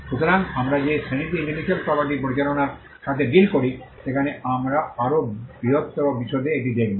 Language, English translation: Bengali, So, in the class where we deal with management of intellectual property right, we will look at this in greater detail